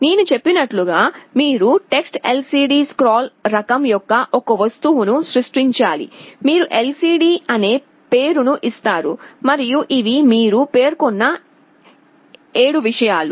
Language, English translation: Telugu, As I told, you have to create an object of type TextLCDScroll, you give a name lcd, and these are the 7 things you specify